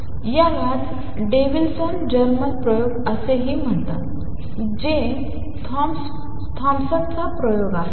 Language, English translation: Marathi, So, this is what is known as Davisson Germer experiment also Thompson’s experiment